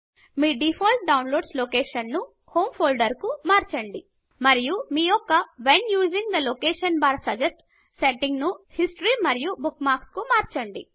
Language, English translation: Telugu, Change your default download location to Home Folder and Change your When using the location bar, suggest: setting to History and Bookmarks